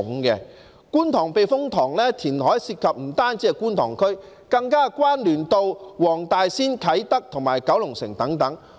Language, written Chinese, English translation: Cantonese, 觀塘避風塘填海涉及的不單是觀塘區，更與黃大仙、啟德和九龍城等有關聯。, Reclamation at the Kwun Tong Typhoon Shelter involves not only Kwun Tong but is also related to Wong Tai Sin Kai Tak and Kowloon City